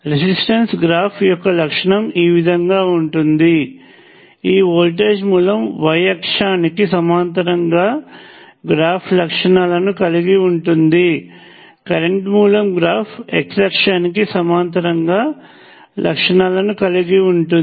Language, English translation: Telugu, Let me write here, resistor has a characteristic which is like this; voltage source has this characteristics parallel to the y axis; current source has characteristics parallel to the x axis